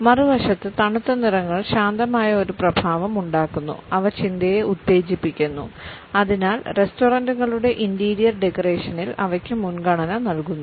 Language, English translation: Malayalam, On the other hand, cool colors produce an effect which is soothing and they stimulate thinking and therefore, they are preferred in the interior decoration of restaurants